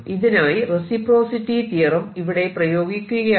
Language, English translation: Malayalam, apply reciprocity theorem